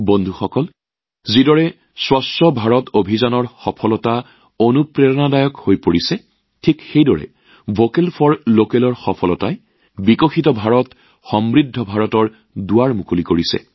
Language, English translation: Assamese, Friends, just as the very success of 'Swachh Bharat Abhiyan' is becoming its inspiration; the success of 'Vocal For Local' is opening the doors to a 'Developed India Prosperous India'